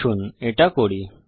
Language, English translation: Bengali, Let us do it